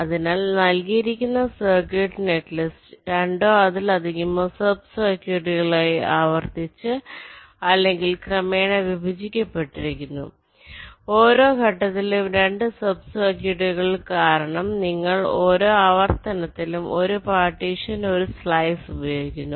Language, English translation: Malayalam, so, given circuit, netlist is repeatedly or progressively partitioned into two or more sub circuits, two sub circuits at every stage, because you are using one partition, one slice in a wave artilation